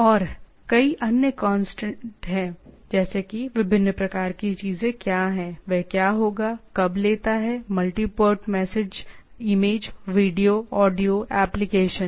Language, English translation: Hindi, And there are several other constant like what are the different type of things will be there takes, when takes, multi part message, image, video, audio, application